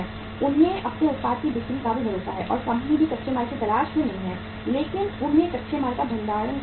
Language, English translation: Hindi, He is also assured of the sale of his product and company is also not to look for the raw material but they have to store the raw material